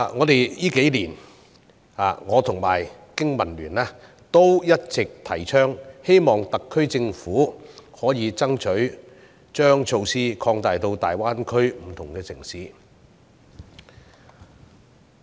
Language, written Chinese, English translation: Cantonese, 這數年，我和香港經濟民生聯盟一直倡議，希望特區政府可以爭取將措施擴大到大灣區不同城市。, Over the years the Business and Professionals Alliance for Hong Kong and I have urged the SAR Government to fight for the extension of this concession to different cities in the Greater Bay Area